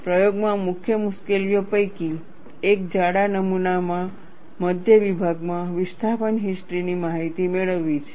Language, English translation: Gujarati, One of the main difficulties in the experiments, is obtaining the information of displacement histories at mid section, in a thick specimen